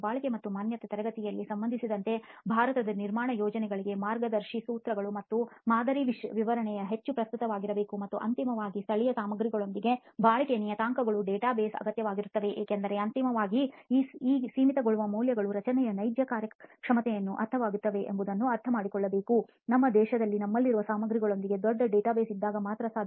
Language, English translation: Kannada, Obviously need guidelines and model specification for construction projects in India regarding durability and exposure classes have to be made more relevant and finally the database of durability parameters with local materials is necessary because ultimately understanding what these limiting values mean for the actual performance of the structure will be only possible when you have a large database with the existing materials that we have in our country